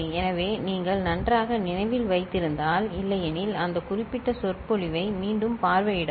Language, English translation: Tamil, So, if you remember fine, otherwise please revisit that particular lecture